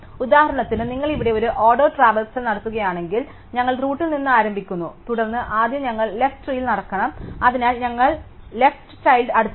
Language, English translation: Malayalam, For example, if you perform a in order traversal here, we start at the root and then we have to first walk on the lefts up tree, so we walk to the left child